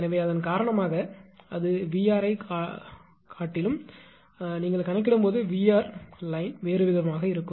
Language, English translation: Tamil, So, because of that although it is showing VR also; you when you compute VR due to dash VR also will be different right